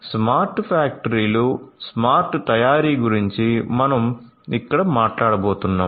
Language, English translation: Telugu, So, smart factories smart manufacturing is what we are going to talk about over here